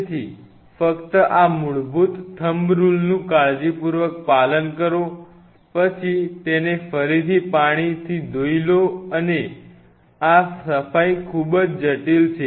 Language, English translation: Gujarati, So, just be careful follow these basic thumb rules, then again wash it in water in running water and this cleaning is very critical